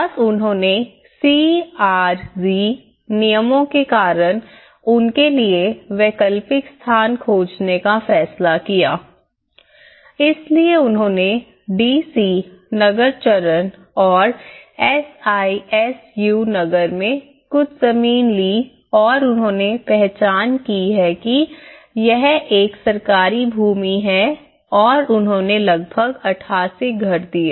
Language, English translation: Hindi, And they decided to find alternative position for them because of the CRZ regulations so they have took some land in the DC Nagar phase and SISU Nagar and they have identified this is a government land and have given about 88 houses